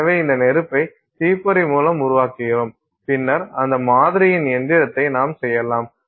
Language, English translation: Tamil, So, you do this spark by spark by spark and then you can do a machining of that sample